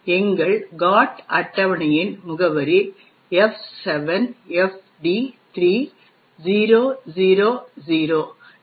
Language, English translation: Tamil, Address of our GOT table is F7FD3000